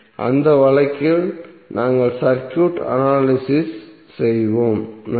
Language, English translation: Tamil, In that case how we will analyze the circuit